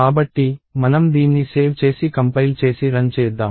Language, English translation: Telugu, So, let us save this and compile and run it